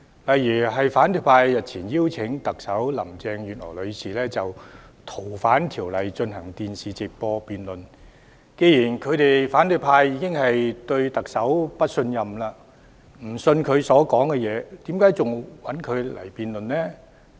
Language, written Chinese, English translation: Cantonese, 舉例而言，反對派日前邀請特首林鄭月娥女士就《逃犯條例》進行電視直播辯論，但既然反對派已對特首表示不信任，不會相信她的說話，為何還要與她辯論呢？, For example the opposition camp invited Chief Executive Carrie LAM to a live televised debate the other day . But since the opposition camp have indicated their distrust of the Chief Executive and that they are not going to believe her words why bother debating with her?